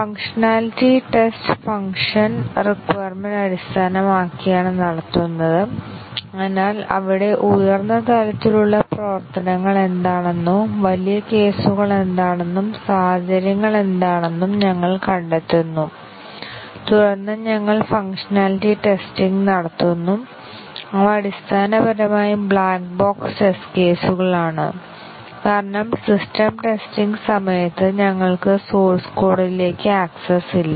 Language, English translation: Malayalam, And the functionality tests are done based on the functional requirements, so we find out what are the high level functions there or the huge cases and what are the scenarios and then we do the functionality test, which are basically black box test cases, because we do not have access to the source code during system testing